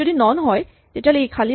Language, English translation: Assamese, If it is none, it is empty